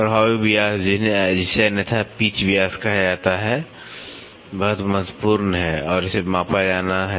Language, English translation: Hindi, The effective diameter, which is otherwise called as the pitch diameter is very important and this has to be measured